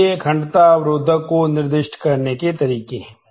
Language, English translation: Hindi, So, these are the ways to specify the integrity constraint